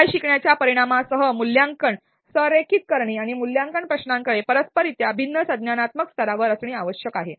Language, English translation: Marathi, The solution is to align assessment with the learning outcomes and assessment questions should correspondingly be at different cognitive levels